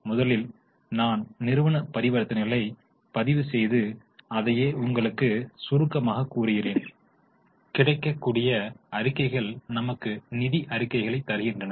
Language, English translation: Tamil, First we record transactions, then we summarize and the reports which are available are known as financial transactions giving us the financial reports